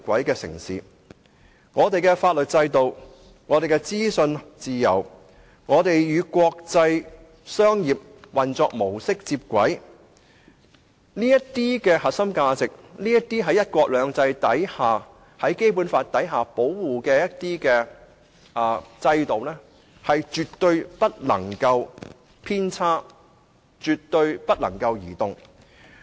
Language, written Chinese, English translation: Cantonese, 因此，我們的法律制度、資訊自由、與國際商業運作模式接軌這些優勢在"一國兩制"及《基本法》的保護下，絕不能有任何偏差，亦絕不能動搖。, Such is our unique advantage . So we must not deviate from and waver over all those advantages of ours that are protected under one country two systems and the Basic Law―our legal system freedom of information flow and convergence with international business practices and so on